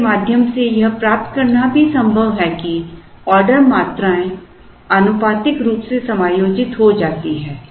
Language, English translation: Hindi, It is also possible to derive through this that the ordering quantities do get proportionately adjusted